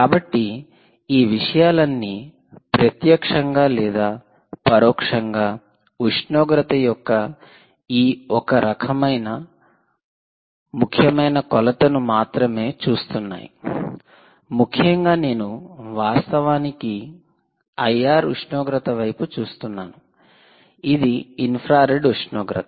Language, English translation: Telugu, ok, so all these things it directly and indirectly, are just looking at this one important measurement of temperature which essentially is you are actually looking at the i r temperature, infrared temperature